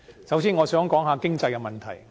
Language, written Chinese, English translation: Cantonese, 首先，我想談談經濟的問題。, First I would like to talk about the issue of the economy